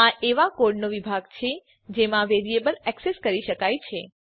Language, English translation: Gujarati, It is the region of code within which the variable can be accessed